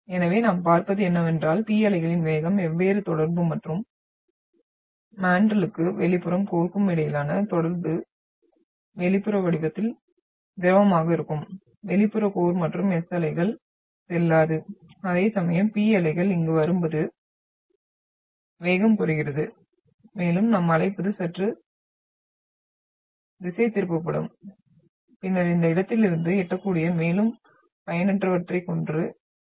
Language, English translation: Tamil, So what we see, because the velocity of the P waves changes at the different contact and the contact between the mantle and the outer core, the outer core which is liquid in form and so the S waves will not go through whereas the P waves which are coming here slows down and that what we call, it will be slightly deflected and then we are having further refracted ones which are reaching and this in this location